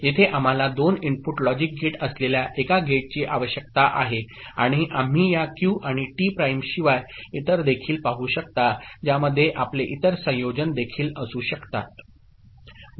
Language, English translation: Marathi, Here we need a gate with that is 2 input logic gate, and we can see other than this Q and T prime you can have other combination also